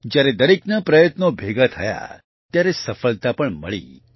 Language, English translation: Gujarati, When everyone's efforts converged, success was also achieved